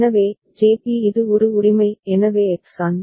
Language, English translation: Tamil, So, JB is this one right, so X An